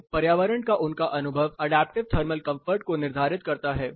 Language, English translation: Hindi, So, his experience of the environment determines adaptive thermal comfortable